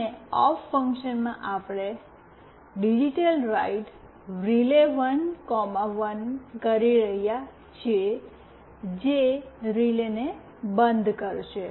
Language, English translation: Gujarati, And in the off function, we are doing a digitalWrite (RELAY1, 1) that will turn off the relay